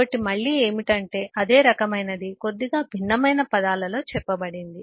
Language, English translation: Telugu, it’s kind of the same thing being said in little bit different terms